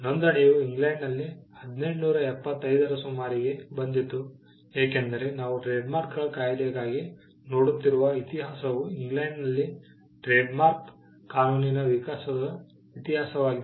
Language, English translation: Kannada, Registration came around the year 1875 in England because, the history that we are looking at for the trademarks act is the history of the evolution of trademark law in England